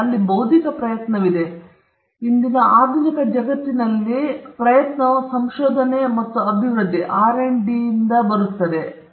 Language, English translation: Kannada, As we said, there is intellectual effort involved in it, but in today’s world, in a modern world, sometimes this effort comes from research and development, sometimes